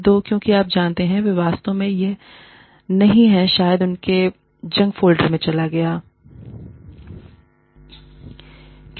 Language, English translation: Hindi, Two, because, you know, they have not really, or it probably went into their junk folder, or too